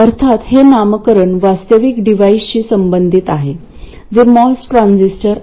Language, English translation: Marathi, Of course, the naming corresponds to a real device which is the MOS transistor